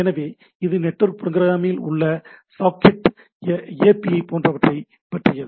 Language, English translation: Tamil, So, it is we hear about network programming or socket APIs and like this